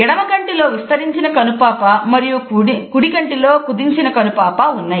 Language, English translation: Telugu, The left eye has a dilated pupil and the right eye has a constricted pupil